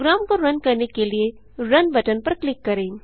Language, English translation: Hindi, Let me click on the Run button to run the program